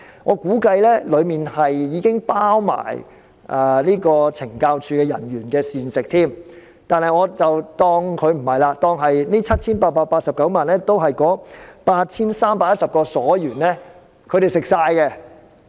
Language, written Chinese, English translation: Cantonese, 我估計當中已包括懲教署人員的膳食，但我不計算在內，且將這 7,889 萬元當作全用於 8,310 名囚犯或所員的膳食費。, I assume the provisions for CSD staff are also included here but let us leave that out . Let us say that the 78.89 million is solely for the provisions for the 8 310 prisoners or inmates